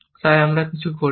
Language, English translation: Bengali, So, we do not do anything